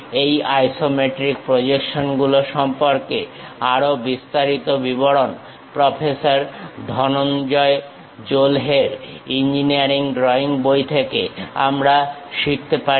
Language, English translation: Bengali, More details of this iso isometric projections, we can learn from the book Engineering Drawing by Professor Dhananjay Jolhe